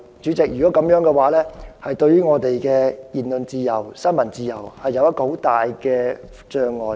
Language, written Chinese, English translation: Cantonese, 主席，這會對言論自由和新聞自由造成很大障礙。, President this will pose great hindrance to speech and press freedom